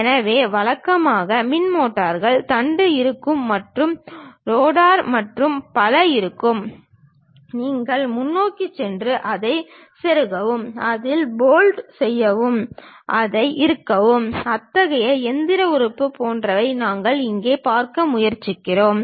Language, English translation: Tamil, So, the typical electrical motors, there will be shaft and there will be rotor and so on; there will be a plate bearing kind of supported kind of plate which you go ahead and insert it and bolt in it, tighten it, such kind of machine element what we are trying to look at here